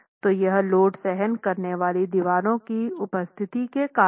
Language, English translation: Hindi, So it's's because of the presence of load bearing walls